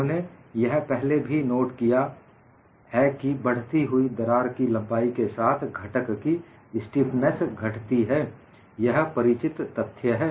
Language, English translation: Hindi, We have already noted stiffness of the component decreases with increasing crack length; this is the known fact